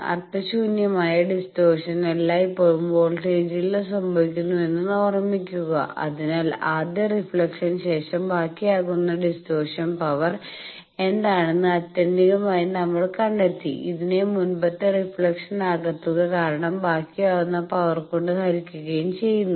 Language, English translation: Malayalam, So, what is that distortion we are getting and remember that distortion in power it is meaningless distortion always happens in the voltage, so ultimately we have found that what is the distortion power remained on first reflection, divided by power remained due to sum of past reflections and that expression we have given